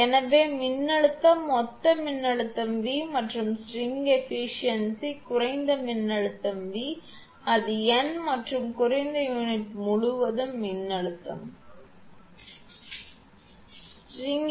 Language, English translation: Tamil, So, voltage total voltage is V and the string efficiency lowest voltage v, it is n and voltage across the lowest unit will be V n minus V n minus 1; that means, same thing